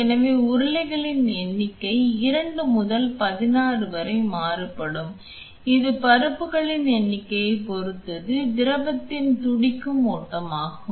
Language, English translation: Tamil, So, the number of rollers can vary from 2, to 16 depending on the number of pulses which can be generated as your fluid flows that is a pulsating flow of the fluid